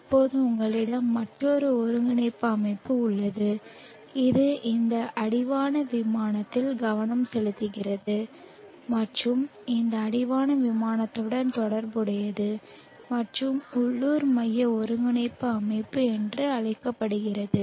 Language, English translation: Tamil, Now you have another coordinate system which is focused in this horizon plane and related to this horizon plane and is called the local centric coordinate system